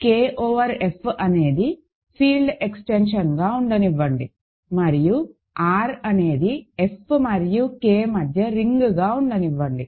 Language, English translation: Telugu, So, let K over F be a field extension, and let R be a ring between F and K